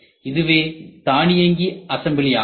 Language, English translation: Tamil, So, this is a robotic assembly